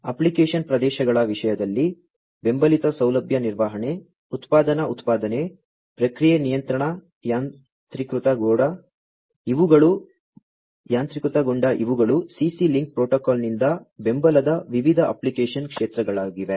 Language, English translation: Kannada, In terms of the application areas; that are supported facility management, manufacturing production, process control automation, these are the different, you know, application areas of support by CC link protocol